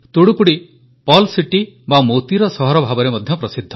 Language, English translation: Odia, Thoothukudi is also known as the Pearl City